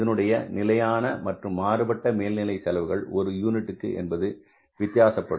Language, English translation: Tamil, So, the behavior of the fixed overhead and the variable overheads per unit is different